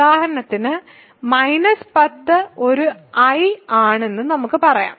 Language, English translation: Malayalam, So, if for example, minus 10 let us say is an I